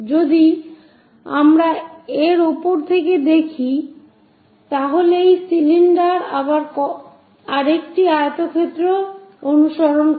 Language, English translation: Bengali, If we are looking from top of that this cylinder again follows another rectangle